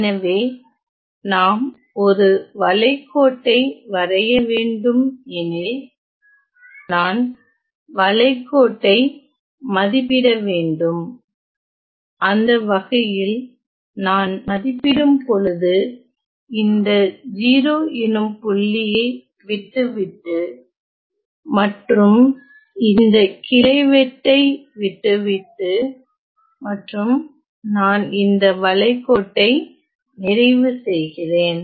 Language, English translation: Tamil, So, if, we were to draw this contour we see that, I have to evaluate the contour, in such a way that, I evaluate I avoid this point 0 and go by bypass it and go around it and also avoid this branch cut and I complete this contour ok